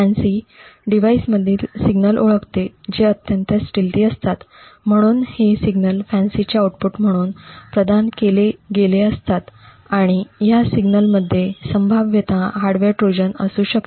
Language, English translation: Marathi, FANCI identifies signals in a device which are highly stealthy, so these signals are provided as the output of FANCI and it is these signals which should potentially hold a hardware Trojan